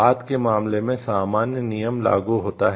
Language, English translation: Hindi, In the later case the general rule applies